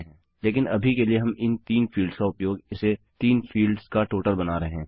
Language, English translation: Hindi, But for now were using these 3 fields making it a total of 3 fields